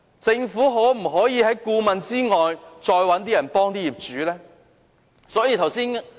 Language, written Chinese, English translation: Cantonese, 政府可否在顧問以外再找一些人協助業主呢？, Can the Government engage people other than consultants to provide assistance to the owners?